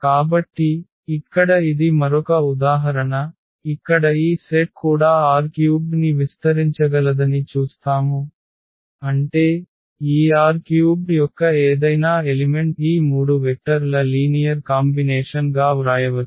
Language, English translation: Telugu, So, here this is another example where we will see that this set can also span R 3; that means, any element of this R 3 we can write down as a linear combination of these three vectors